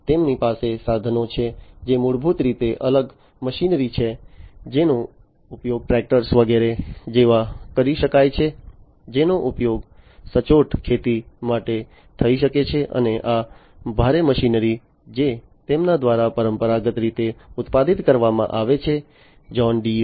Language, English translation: Gujarati, They have equipments which are basically different machinery, which can be used like tractors etcetera, which can be used for precision agriculture and these heavy machinery, that are produced by them traditionally, John Deere